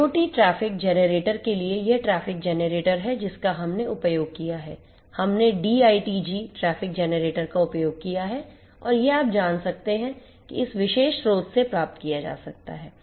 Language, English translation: Hindi, And for IoT traffic generator this is this traffic generator that we have used; we have used the D ITG traffic generator and it can be you know it can be procured from this particular source